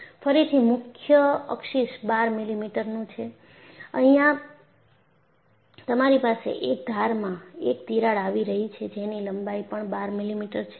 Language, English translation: Gujarati, Again, the major access is 12 millimeter, and here you havea crack coming from one of the edges which is also having a length of 12 millimeter